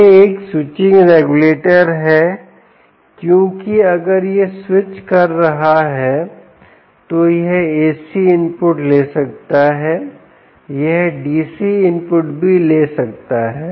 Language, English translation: Hindi, its a switching regulator because, if it is switching, it can take ac input, it can also take dc input